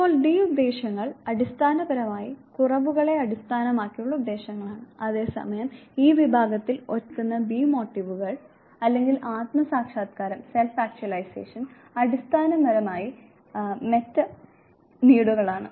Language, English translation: Malayalam, Now the d motives are basically deficiency based motives whereas, the b motives or self actualization which stand alone in the category is basically the Meta needs